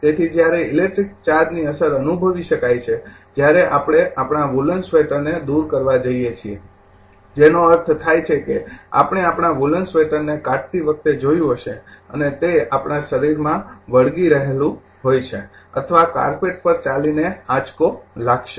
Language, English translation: Gujarati, So, effects of electric charge can be experience when we carry to a remove our woolen sweater I mean you might have seen also remove our woollen sweater and have it stick to our body or walk across a carpet and receive a shock